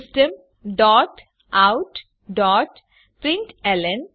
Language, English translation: Gujarati, System dot out dot println